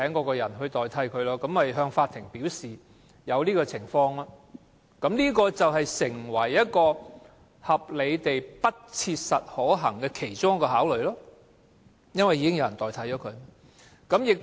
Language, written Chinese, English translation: Cantonese, 僱主是可以向法院反映這種情況的，而這亦會成為合理地不切實可行的考慮，原因是已另聘員工替代。, The employer can reflect this situation to the court and it can be a factor for considering whether reinstatement is reasonably practicable as a replacement has been engaged